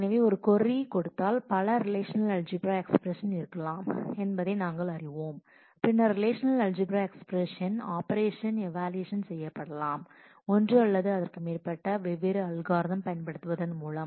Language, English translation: Tamil, So, we know that given a query there could be multiple relational algebra expressions and then the relational algebra expression the operations can be evaluated also in one of the by using one or more different algorithms